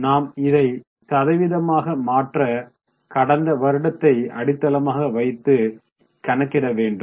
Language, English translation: Tamil, So, what we will do is we will calculate this as a percentage to the base, that is to the last year